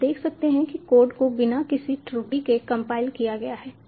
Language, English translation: Hindi, you see the code has been compiled without any errors